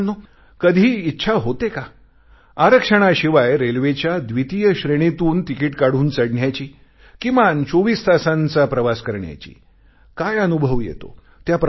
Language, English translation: Marathi, Friends have you ever thought of travelling in a Second Class railway Compartment without a reservation, and going for atleast a 24 hours ride